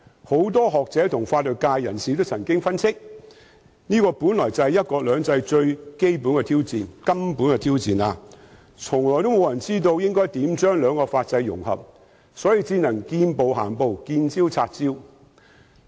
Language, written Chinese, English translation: Cantonese, 不少學者和法律界人士都曾分析，這是"一國兩制"最根本的挑戰，沒有人知道應如何將兩種法制融合，所以我們只能見步行步、見招拆招。, According to the analysis made by a number of scholars and members of the legal profession that is the most fundamental challenge to one country two systems and nobody knows how these two legal systems can be integrated . Therefore we can only plan one step ahead and deal with the problem arisen